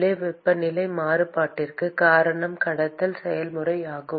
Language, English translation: Tamil, what causes the temperature variation inside is the conduction process